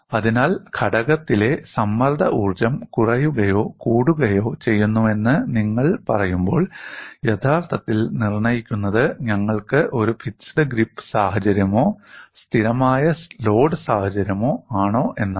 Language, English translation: Malayalam, So, when you say strain energy in component decreases or increases that is actually dictated by, are we having a fixed grip situation or a constant load situation